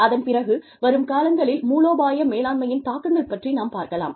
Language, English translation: Tamil, And then, we will move on to, the implications for strategic management, in the future